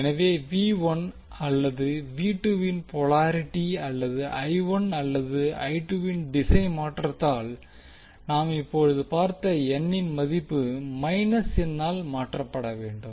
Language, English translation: Tamil, So if the polarity of V 1 and V 2 or the direction of I 1 and I 2 is changed, the value of N which we have just saw, we need to be replaced by minus n